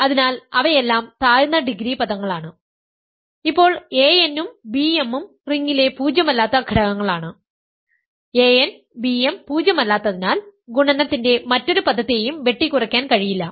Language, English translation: Malayalam, So, they are lower degree terms; now because a n and b m are non zero elements in the ring; a n b m is non zero hence this is non zero and there can nothing else no subsequent term of the product can cancel this